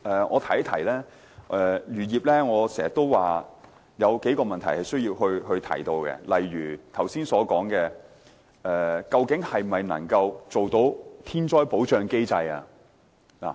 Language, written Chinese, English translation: Cantonese, 我經常說漁業有幾個問題需要解決，例如我剛才所說，是否能做到"天災保障機制"？, I often say that a few issues concerning the fisheries industry need to be addressed . As I said earlier is it possible to set up a protection mechanism for natural disasters?